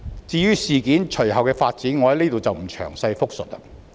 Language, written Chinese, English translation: Cantonese, 至於事件隨後的發展，在此我不詳細複述了。, As for the subsequent development of the event I am not going to repeat in detail here